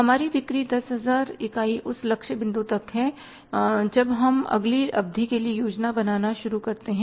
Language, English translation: Hindi, Our sales are say 10,000 units up to the point we start planning for the next period